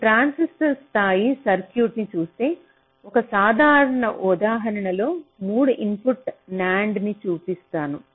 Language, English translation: Telugu, but if you look at a transistor level circuit, lets say i am just showing you one simple example a, three input nand